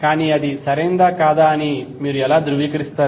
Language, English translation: Telugu, But how you will verify whether it is correct or not